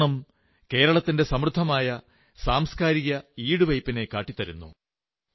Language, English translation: Malayalam, This festival showcases the rich cultural heritage of Kerala